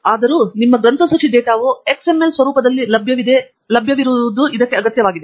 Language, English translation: Kannada, However, it requires that your bibliographic data is available in an XML format